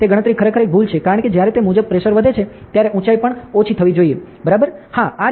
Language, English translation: Gujarati, So, it is the calculation actually an error, because when the pressure increases accordingly the altitude should also decrease, correct yeah